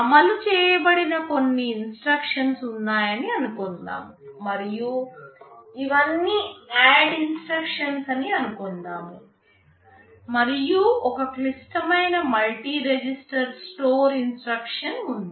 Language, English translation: Telugu, Suppose, there are some instructions that are executed and let us say these are all ADD instructions, and there is one complex multi register store instruction